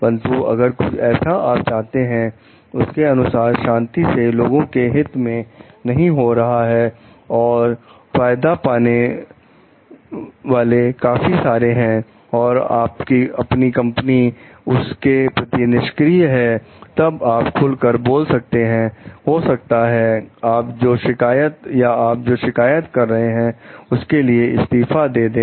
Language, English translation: Hindi, But, if something is not happening quietly in the in the way that you feel like which is good for the public at large, the beneficiaries at large, and your company is maybe in unresponsive to it, then you are you may be going for whistle blowing, and maybe or you are resigning the different you are complaining